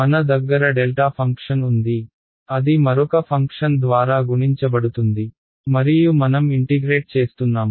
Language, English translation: Telugu, I have a delta function it is multiplying by another function and I am integrating